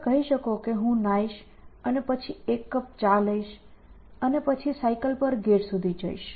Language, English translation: Gujarati, So, you may say I will take a bath and they have a cup of tea and then cycle to the gate